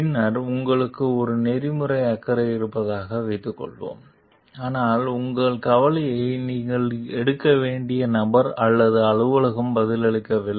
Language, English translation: Tamil, Then, suppose you have an ethical concern, but the person or office to whom you are supposed to take your concern to is unresponsive